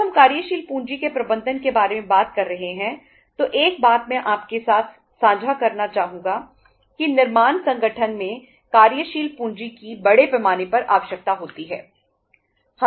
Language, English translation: Hindi, When we are talking about the management of working capital uh one thing I would like to uh share with you that working capital is largely required in the manufacturing organizations right